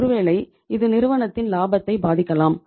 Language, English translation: Tamil, Maybe it is affecting the profitability of the firm